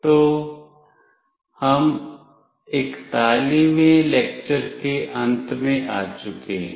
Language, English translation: Hindi, So, we have come to the end of lecture 41